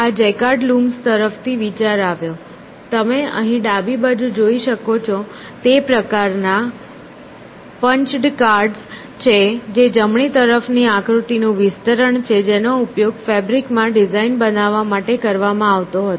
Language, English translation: Gujarati, The idea came from this Jaquard Looms which was, which is the kind of punched cards that you see here on the left which is an enlargement of the figure on right which were used to create designs in fabric essentially